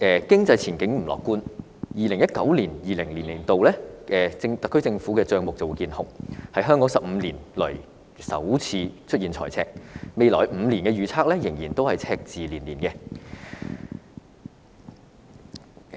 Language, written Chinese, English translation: Cantonese, 經濟前景不樂觀 ，2019-2020 年度特區政府的帳目見紅，是香港15年來首次出現財赤，未來5年的預測仍然是赤字連連。, Given the dim economic outlook the accounts of the SAR Government are in the red in 2019 - 2020 the first time for Hong Kong to register a fiscal deficit in 15 years . It is forecast that we will continue to see a deficit in the coming five years